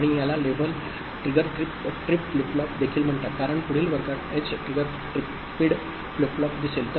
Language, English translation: Marathi, And this is also called level triggered flip flop, because we’ll see edge triggered flip flop in the next class